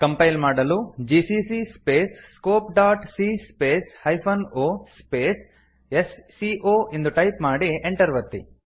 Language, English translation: Kannada, To compile type, gcc space scope.c space hyphen o space sco and press enter